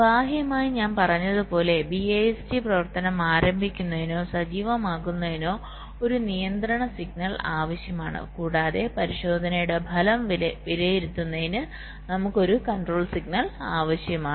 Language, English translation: Malayalam, and externally, as i said, we need one control signal to start or activate the bist operation and we need one control signal to evaluate the result of the test